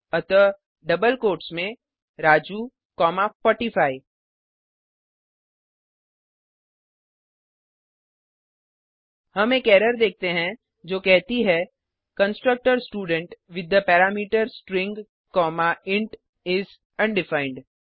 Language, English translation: Hindi, So in double quotes Raju comma 45 We see an error which states that the constructor student with the parameter String comma int is undefined